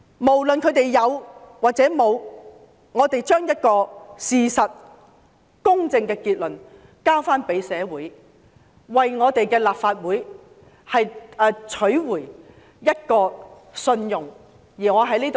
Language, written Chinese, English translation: Cantonese, 無論他們有沒有做過甚麼，我們都把事實及公正的結論交給社會，為我們的立法會取回公信力。, Regardless of whether they had done anything we should present the facts and a fair conclusion to society to help regain the credibility of our Legislative Council